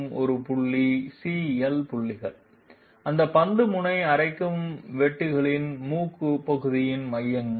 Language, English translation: Tamil, These points are the CL points, the centers of the nose portion of those ball end milling cutters